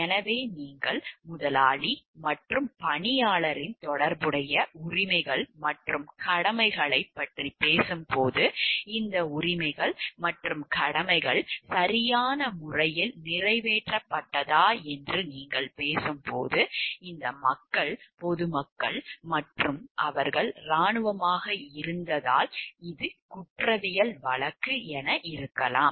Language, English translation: Tamil, So, the when you are talking of the corresponding rights and duties of the employer and the employee, and whether this rights and duties were like executed in a proper way, maybe this is where because these people are civilians and they were army and this was a criminal prosecution